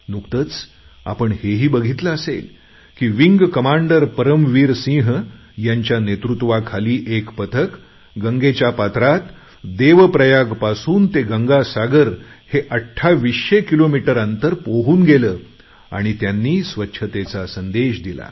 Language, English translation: Marathi, It might have come to your notice some time ago that under the leadership of Wing Commander Param Veer Singh, a team covered a distance of 2800 kilometres by swimming in Ganga from Dev Prayag to Ganga Sagar to spread the message of cleanliness